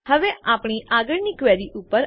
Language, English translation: Gujarati, Now, onto our next query